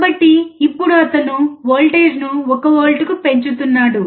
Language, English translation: Telugu, So now, he is increasing the voltage to 1 volt